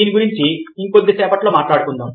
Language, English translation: Telugu, we will talk about it in a little while from now